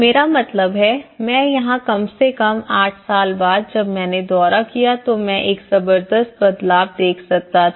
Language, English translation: Hindi, I mean, I can see here at least after eight years, when I visited I could see a tremendous change